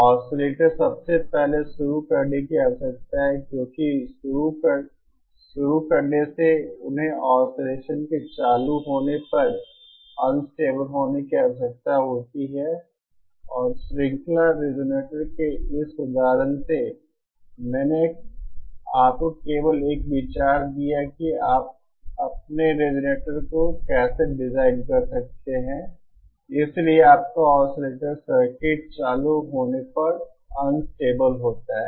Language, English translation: Hindi, Oscillators first of all they need to be started, because starting they need to be unstable at the start up of oscillations and by this example of a series resonator, I just gave you an idea that how you can design your resonator, so that your oscillator circuit is unstable at the start up